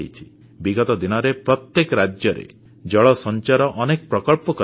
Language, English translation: Odia, Lately, in all the states a lot of measures have been taken for water conservation